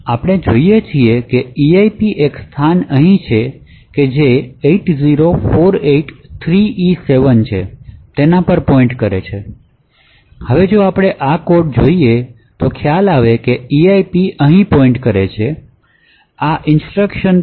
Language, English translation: Gujarati, So we look at this and we see that eip is pointing to a location over here that is 80483e7, now if we go back to this code we see that the eip is actually pointing to this location over here essentially this instruction has to be executed